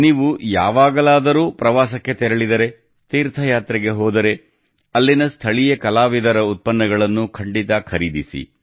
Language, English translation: Kannada, Whenever you travel for tourism; go on a pilgrimage, do buy products made by the local artisans there